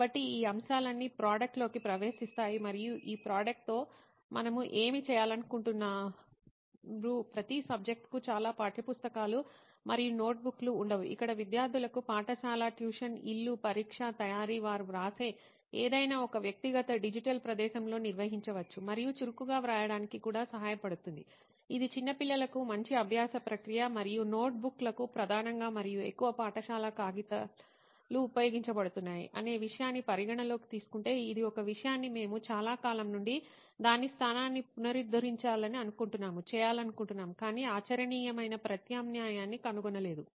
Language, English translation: Telugu, So all these factors all pitch into this product and what we are trying to do with this product is not have so many textbooks and notebooks for each subject where students can actually maintain all their notes irrespective of school, tuition, home, examination, preparation, anything they write can be organized in one personal digital space and also helps them actively write frequently helps them write also which is a good learning process for young kids and considering the fact that notebooks is majorly and heavily used in schools and paper is a material which we want to replace from a very long time but not have found a viable replacement